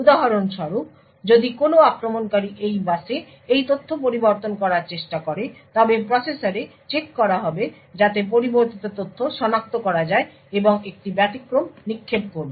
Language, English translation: Bengali, So, for example if an attacker tries to modify this data on this bus checks would be done in the processor to identify that the data has been modified and would throw an exception